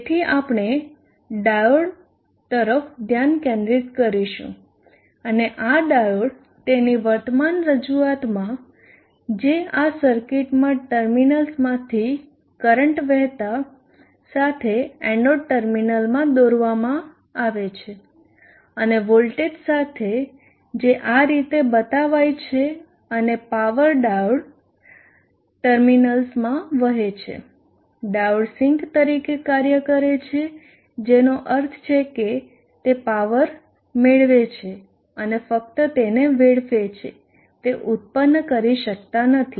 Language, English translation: Gujarati, So we will bring the focus to the diode and this diode in its present representation as it is drawn in this circuit with the current flowing into the terminals anode terminal and with the voltage indicated asked us and the power flowing into the diode terminals they diode acts as a sync which means it receives power and only dissipates it cannot generate so this particular portion of the diode a portion of the diode circuit is now a sync circuit and not a generator circuit